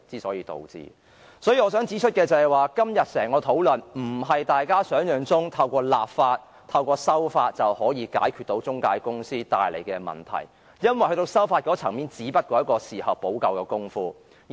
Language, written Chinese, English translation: Cantonese, 所以，我想指出的是，就今天整項的討論來說，並非如大家想象般可透過立法、修例便解決中介公司帶來的問題，因為修例只是一種事後補救的工夫。, Therefore I wish to point out that insofar as this entire discussion is concerned unlike what Members have expected the problems brought about by intermediaries cannot be resolved by way of legislation because the introduction of legislative amendments is only a measure adopted to remedy the aftermath